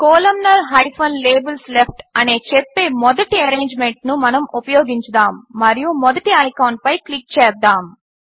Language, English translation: Telugu, Let us use the first arrangement that says Columnar – Labels left and click on the first icon